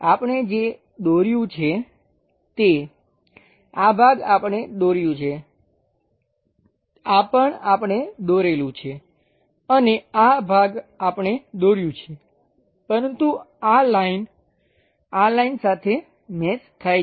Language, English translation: Gujarati, What we have drawn is; this portion we have drawn, this one also we have drawn and this portion we have drawn, but this line supposed to match this line